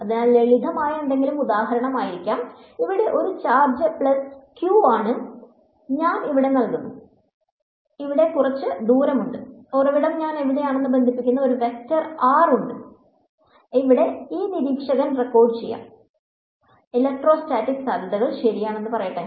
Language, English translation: Malayalam, So, something simple could be for example, here is a charge plus q and I am standing over here and there is some distance over here, there is a vector r that connects the source to where I am, and this observer here could be recording; let say the electrostatic potential right